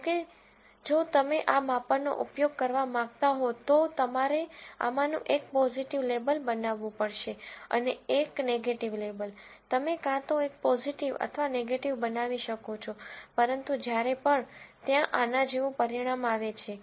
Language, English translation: Gujarati, However, if you want to use, these measures, you have to make one of these a positive label and the one, a negative label, you could make either one positive or negative, but whenever, there is a result like this